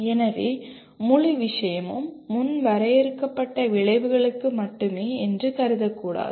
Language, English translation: Tamil, So one should not consider the entire thing is limited to only pre defined outcomes